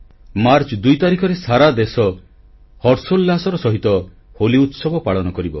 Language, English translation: Odia, On 2nd March the entire country immersed in joy will celebrate the festival of Holi